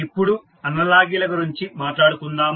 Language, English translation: Telugu, Now, let us talk about the analogies